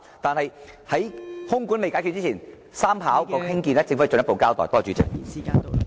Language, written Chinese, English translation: Cantonese, 在空管未解決之前，第三條跑道的興建，政府需要進一步交代。, However before air traffic control is properly addressed the Government needs to give a further account of the construction of the third runway